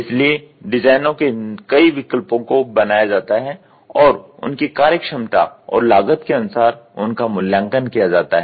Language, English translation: Hindi, So, several design alternatives are generated and evaluated for their function ability and cost effectiveness